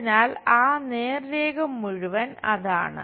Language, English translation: Malayalam, So, that entire straight line is that